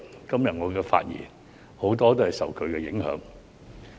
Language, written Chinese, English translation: Cantonese, 今天我的發言很多內容也受其影響。, Much of my speech today can be attributed to his influence